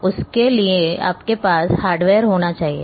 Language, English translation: Hindi, So, you need to have hardware